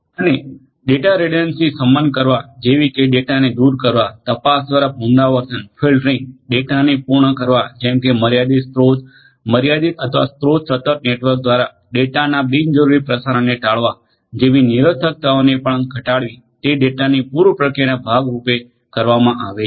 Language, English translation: Gujarati, And also mitigating the redundancies such as eliminating data, repetition through detection, filtering, completion of data to avoid unnecessary transmission of data through this limited resource limited or resource constant networks is what is done as part of data pre processing